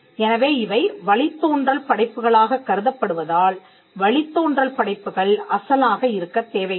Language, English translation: Tamil, So, because they are regarded as derivative works derivative works do not need to be original